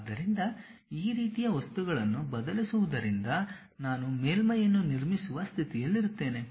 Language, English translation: Kannada, So, varying these kind of objects I will be in a position to construct a surface